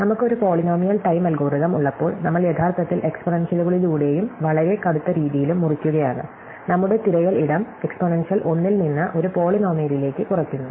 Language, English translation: Malayalam, When we have a polynomial time algorithm, we are actually cutting through the exponentials and in some very drastic way, reducing our search space from an exponential one to a polynomial one